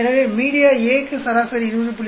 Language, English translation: Tamil, So, for media A, the average comes out to be 20